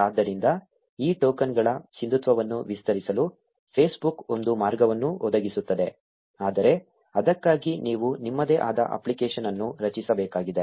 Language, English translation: Kannada, So, Facebook provides a way to extend the validity of these tokens, but for that you need to create an app of your own